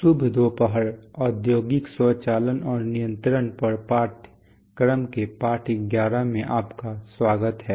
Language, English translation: Hindi, Good afternoon and welcome to lesson 11 of the course on industrial automation and control